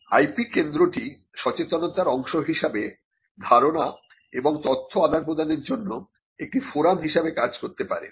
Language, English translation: Bengali, The IP centre can also as a part of the awareness have act as a forum for exchanging ideas and information